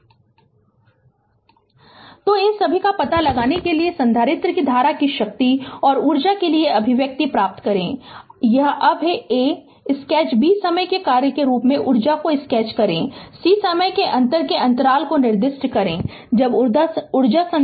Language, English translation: Hindi, So, what what we have to do is that, we have to find out all these derive the expression for the capacitor current power and energy, this is now a, sketch b sketch the energy as function of time, c specify the inter interval of time when the energy is being stored in the capacitor right